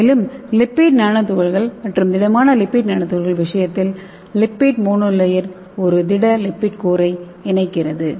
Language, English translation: Tamil, In nanoemulsion the lipid monolayer enclosing a liquid lipid core, and in case of lipid nanoparticle and solid lipid nanoparticle, so lipid monolayer enclosing a solid lipid core okay